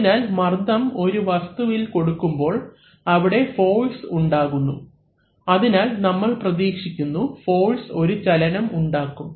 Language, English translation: Malayalam, So, when pressure acts on a body it creates force, so we expect that force will create a motion, right